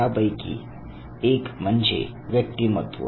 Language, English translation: Marathi, One of it is personality for instance